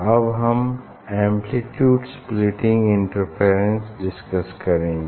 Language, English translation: Hindi, this is the amplitude splitting interference